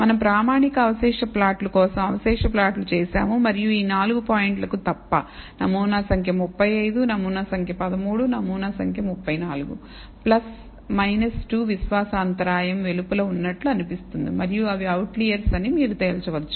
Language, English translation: Telugu, We perform a residual plot for standardized residual plot, and we find that except for these 4 points, 35 sample number 35 , sample number 13, sample number 34 seems to be outside of the plus minus 2 confidence interval, and they maybe you may conclude that these are out outliers